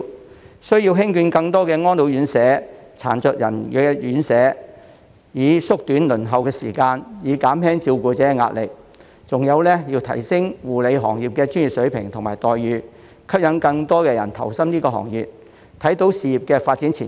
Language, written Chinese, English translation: Cantonese, 政府需要興建更多安老院舍、殘疾人士院舍，以縮短輪候時間，減輕照顧者的壓力；還有要提升護理行業的專業水平及待遇，吸引更多人投身這個行業，看到事業的發展前景。, The Government must build more RCHEs and RCHDs to shorten the waiting time and reduce the pressure on carers . In addition the Government must enhance the professional standard and remuneration of the care services industry so as to attract more new entrants and enable them to see the prospects of career development